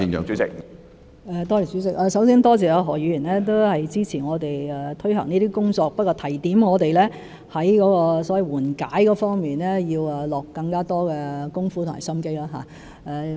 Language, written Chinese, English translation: Cantonese, 主席，首先多謝何議員支持我們推行這些工作，而他只是提點我們在緩解措施方面要下更多工夫和心機。, President first of all I thank Mr HOs support for our implementation of such work . He was just reminding us to work on the relief measures with greater efforts and care